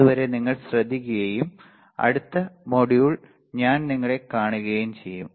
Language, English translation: Malayalam, Till then you take care and just look at the lecture I will see you in the next module bye